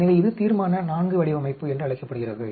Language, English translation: Tamil, So, this is called Resolution IV design